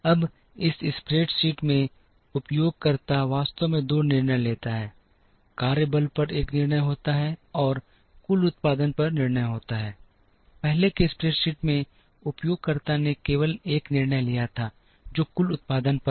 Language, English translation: Hindi, Now, in this spreadsheet the user actually makes 2 decisions, there is a decision on the workforce, and there is a decision on the total production, in the earlier spreadsheet the user made only one decision, which is on the total production